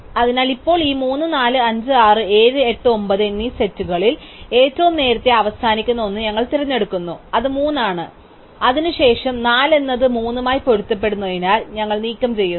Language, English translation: Malayalam, So, now among this feasible set 3, 4, 5, 7, 8, 9 we pick the one that ends earliest which is 3 and then since 4 is in conflict with 3, we remove 4